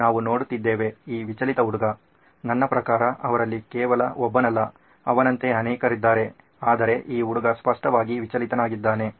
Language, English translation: Kannada, We are looking at, is this distracted child I mean he is not just one of them, there are probably many of them but this guy clearly is distracted